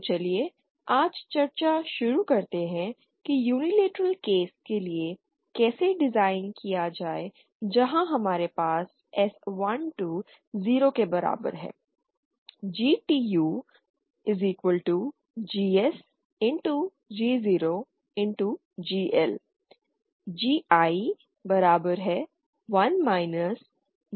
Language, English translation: Hindi, So let us start the discussion today on how to design for the unilateral case where we have S 1 2 is equal to 0